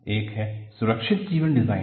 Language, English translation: Hindi, One is a Safe life design